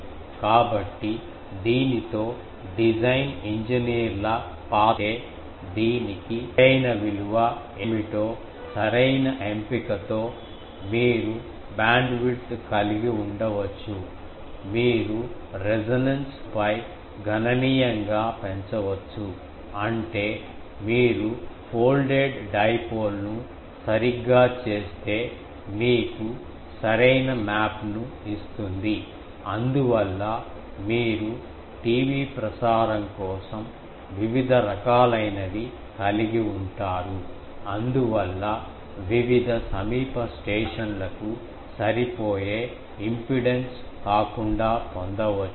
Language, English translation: Telugu, So, with the this is the design engineers role that with proper choice of what will be the exact value for this, you can have the bandwidth, you can be substantially increased over a resonance dipole; that means, if you properly do folded dipole gives you a better map that is why you can have for TV transmission that various, so apart from the impedance matching various nearby stations also could have been obtained